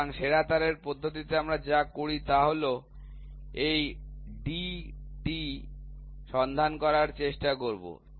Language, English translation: Bengali, So, in best wire method what we do is we try to find out this d